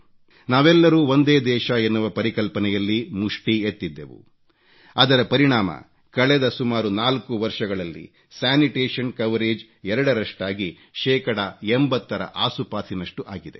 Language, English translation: Kannada, All of us took up the responsibility and the result is that in the last four years or so, sanitation coverage has almost doubled and risen to around 80 percent